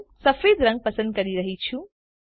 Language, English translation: Gujarati, I am selecting white